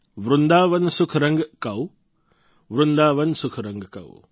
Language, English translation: Gujarati, Vrindavan sukh rang kau, Vrindavan sukh rang kau